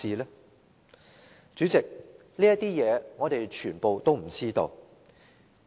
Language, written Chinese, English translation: Cantonese, 代理主席，這些事情我們全都不知道。, Deputy President we know nothing about all these